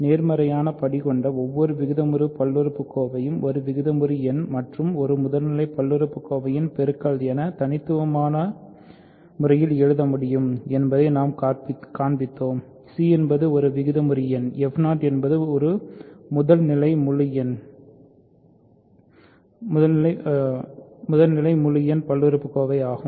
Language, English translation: Tamil, We showed that any rational polynomial which has positive degree can be written uniquely as a product of a rational number and a primitive polynomial; c is a rational number f 0 is a primitive integer polynomial